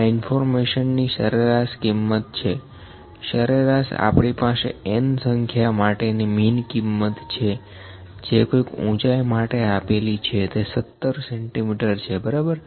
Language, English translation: Gujarati, This is information mean value, median, we have the mean the mean value of the n number of components level of the height of n number of components is this is 17 centimetres, ok